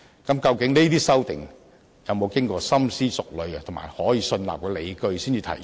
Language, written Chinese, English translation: Cantonese, 究竟這些修訂有否經過深思熟慮及具備可信納的理據才提出？, Have due consideration be given when proposing these amendments and are there full justifications to support such amendments?